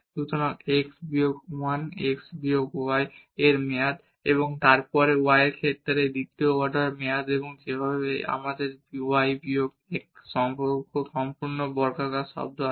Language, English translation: Bengali, So, x minus 1 x minus y minus 1 term and then here the second order term with respect to y and the way we have y minus 1 whole squared term